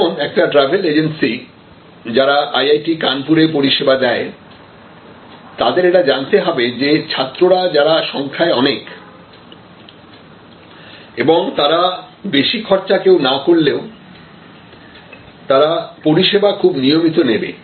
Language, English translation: Bengali, For example, a travel agency servings IIT, Kanpur has to know that the student customers who are big in number, they are not high spenders, but they can be regular customers, similarly if the faculty and so on